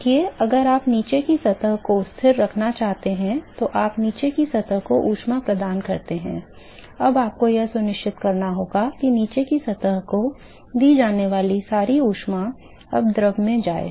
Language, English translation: Hindi, See, if you want to maintain the bottom surface constant now you provide heat to the bottom surface, now you have to ensure that all the heat that is given to the bottom surface is now transported to the fluid